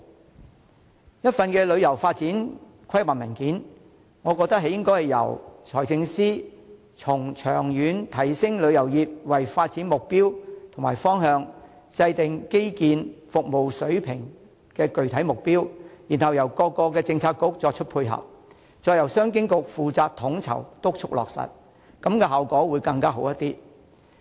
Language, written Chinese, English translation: Cantonese, 要訂定一份旅遊發展規劃文件，我認為應該由財政司司長從長遠提升旅遊業為發展目標和方向，制訂基建和服務水平的具體目標，由各政策局作出配合，並由商務及經濟發展局負責統籌和督促落實，這樣效果會更好。, To draw up a paper on planning of the development of tourism I think the Financial Secretary should make upgrading the tourism industry in the long term the objective and direction of development and formulate specific targets for infrastructure and service standards . The support of various Policy Bureaux should be entailed and the Commerce and Economic Development Bureau should be made responsible for coordinating and overseeing the implementation of the initiatives